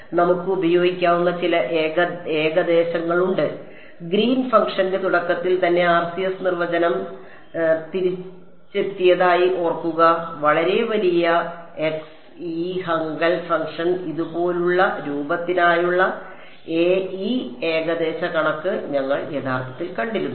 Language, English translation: Malayalam, So, there are some approximations that we can use; remember the RCS definition is r tending to infinity right now back in the very beginning of Green’s function we had actually come across this approximation for very large x this Hankel function look like this